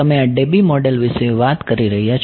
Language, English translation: Gujarati, You are asking for this Debye model